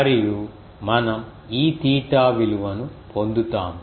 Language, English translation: Telugu, And we will get the value of E theta